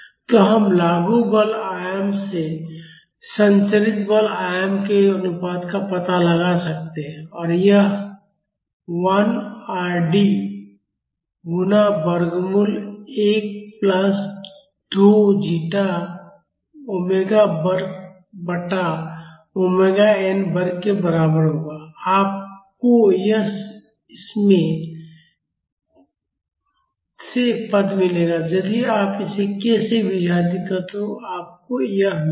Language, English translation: Hindi, So, we can find out the ratio of the amplitudes of the transmitted force to the amplitude of the applied force and that would be equal to R d times square root of 1 plus 2 zeta omega by omega n the whole square you will get this term from this if you divide this by k you will get this